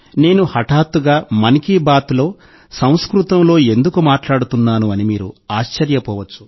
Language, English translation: Telugu, You must be thinking why I am suddenly speaking in Sanskrit in ‘Mann Ki Baat’